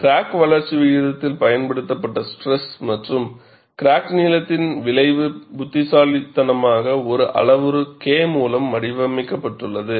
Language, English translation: Tamil, The effect of applied stress and crack length on crack growth rate is intelligently modeled by a single parameter delta K